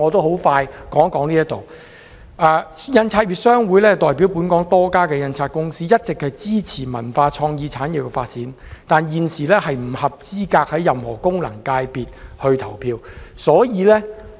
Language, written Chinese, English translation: Cantonese, 香港印刷業商會代表本港多家印刷公司，一直支持文化創意產業的發展，但現時不合資格在任何功能界別投票。, HKPA represents many printing companies in Hong Kong and it has been supporting the development of the cultural and creative industries all along . Yet it is ineligible to be an elector in any FC now